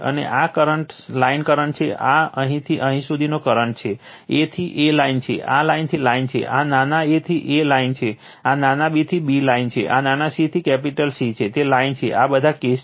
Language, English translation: Gujarati, And this is the line current this is the current from here to here line a to A is the line, line to line, this small a to A is line, small b to B is line, small c to capital C, it is line, all these cases